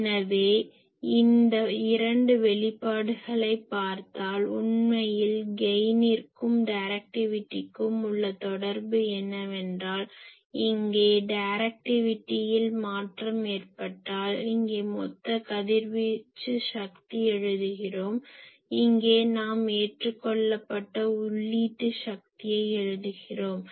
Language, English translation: Tamil, So, we will discuss these because this is actually will bring that if you look at the two expressions , that actually the relation between gain and directivity is that you see that change is taking place here in case of directivity here we have written total power radiated , here we are writing input power accepted